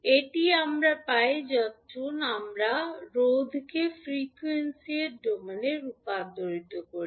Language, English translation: Bengali, So, this we get when we convert resister into frequency s domain